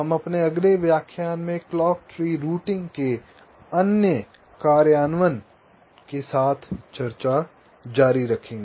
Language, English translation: Hindi, so we continue with other implementations of clock tree routing in our next lecture